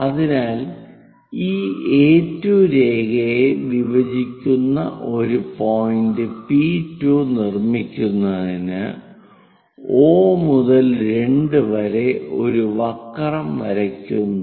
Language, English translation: Malayalam, So, from O to 2 draw one more curve to make a point P2 which intersects this A2 line